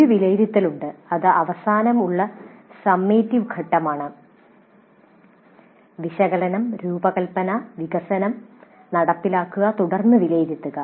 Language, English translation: Malayalam, There is an evaluate which is summative phase at the very end, analysis, design, development, implement, then evaluate